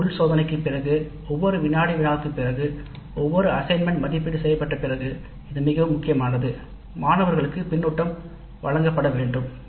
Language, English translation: Tamil, After every internal test, after the quiz, after the assignments are turned in and evaluated, feedback must be provided to the students